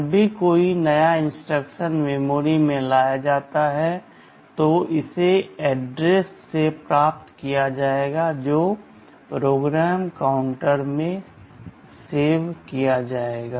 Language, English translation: Hindi, Whenever a new instruction is brought or fetched from memory it will be fetched from the address which is stored in the PC